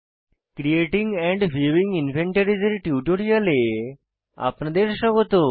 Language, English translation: Bengali, Welcome to the spoken tutorial on Creating and viewing inventories